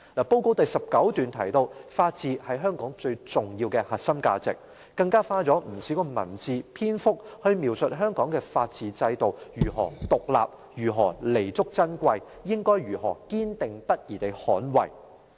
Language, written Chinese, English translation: Cantonese, 報告第19段提到，法治是香港最重要的核心價值，更花了不少文字、篇幅描述香港的法治制度如何獨立，如何彌足珍貴，應該如何堅定不移地捍衞。, Paragraph 19 of the Policy Address mentions that the rule of law is the most important core value of Hong Kong . She also has a long description in the paragraph on how independent and precious the rule of law system is in Hong Kong for us to steadfastly safeguard